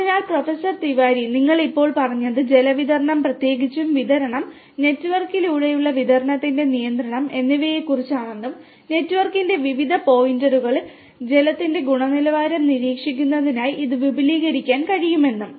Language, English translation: Malayalam, So, Professor Tiwari, earlier you said that at present what you have is the water monitoring particularly with respect to distribution, control over the distribution over the network and can it be extended for monitoring the water quality as well at different points of the network